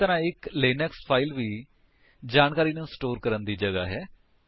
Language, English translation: Punjabi, Similarly a Linux file is a container for storing information